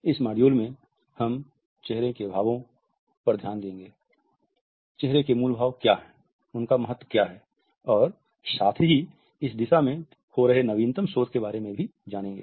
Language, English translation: Hindi, In this module, we would look at the facial expressions, what is their importance, what are the basic types of facial expressions, and also, what is the latest research which is going on in this direction